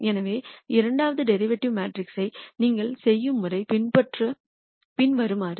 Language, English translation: Tamil, So, the way you do the second derivative matrix is the following